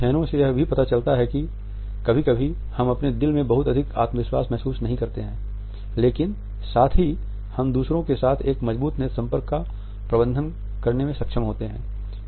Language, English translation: Hindi, Studies have also shown us that sometimes we may not feel very confident in our heart, but at the same time we are able to manage a strong eye contact with others